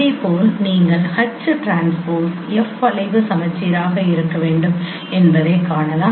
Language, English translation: Tamil, Similarly here also you can see that H transpose f should be skew symmetric